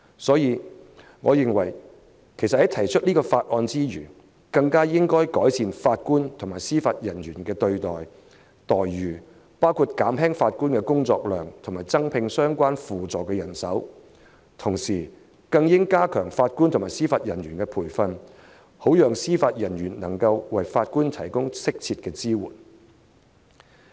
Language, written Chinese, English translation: Cantonese, 所以，我認為在通過《條例草案》之餘，更應改善法官和司法人員的待遇，減輕法官的工作量及增加相關輔助的人手，同時更應加強法官和司法人員的培訓，好讓司法人員能為法官提供適切的支援。, Hence apart from passing the Bill I think the Government should also improve the remuneration package of JJOs reduce their workload increase the manpower of supporting staff and at the same time enhance the training of JJOs so that Judicial Officers can provide appropriate support for Judges